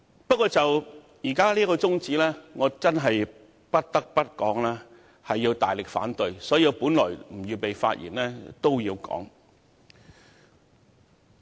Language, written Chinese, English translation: Cantonese, 不過，就當前這項中止待續議案，我不得不發言大力反對，儘管我本來沒有預備發言，現在也要說說。, But with regard to this adjournment motion before us now I cannot but speak against it vehemently . Even though I was not prepared to speak I have to say something now